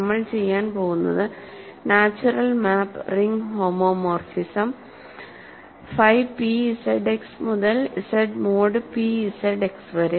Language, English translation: Malayalam, So, what we are going to do is consider the natural map ring homomorphism I should say, natural ring homomorphism, homomorphism, phi p from Z X to Z mod p Z X